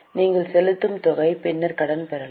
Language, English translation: Tamil, The amount which you are paying, you can get credit later on